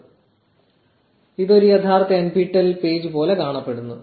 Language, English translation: Malayalam, So, this looks much more like a genuine nptel page